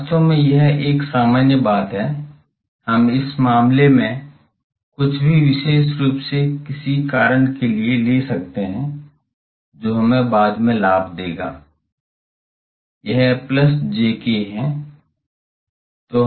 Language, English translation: Hindi, Actually it is a general thing, we can take anything in this case specifically for some reason the, that will give us advantage later, this is plus jk